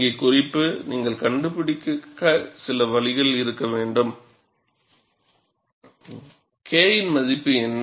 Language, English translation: Tamil, But the point to note here is, you need to have some way of finding out, what is the value of K effective